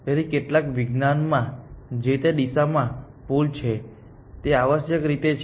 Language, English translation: Gujarati, So, in some science that is a pull in that direction essentially